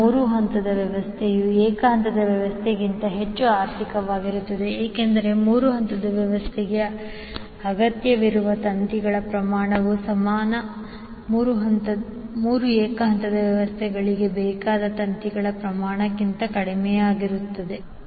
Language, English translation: Kannada, Because the amount of wire which is required for 3 phase system is lesser than the amount of wire needed for an equivalent 3 single phase systems